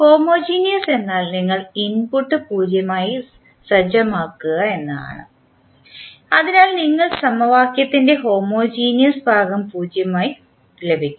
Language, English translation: Malayalam, Homogeneous means you set the input to 0, so we get the homogeneous part of the equation to 0